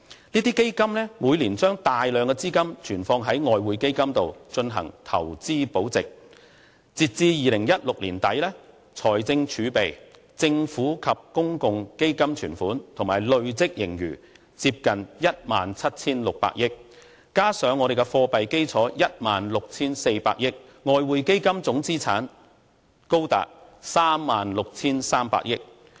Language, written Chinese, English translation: Cantonese, 這些基金每年把大量資金存放於外匯基金進行投資保值，截至2016年年底，財政儲備、政府或公共基金存款及累計盈餘接近 17,600 億元，加上我們的貨幣基礎 16,400 億元，外匯基金總資產高達 36,300 億元。, These funds retain a substantial amount of their capital in the Exchange Fund every year to preserve their capital through investment . As of end of 2016 the fiscal reserves and the balance and accumulated surplus of government or public funds totalled at almost 1,760 billion together with its monetary base of 1,640 billion the total assets of the Exchange Fund reached 3,630 billion